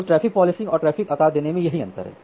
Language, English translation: Hindi, So, this is the difference between traffic policing and traffic shaping